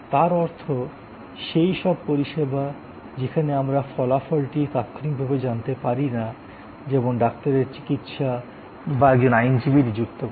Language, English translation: Bengali, That means, service where immediately we may not know the result, like a doctors, treatment or a lawyer who is being apointed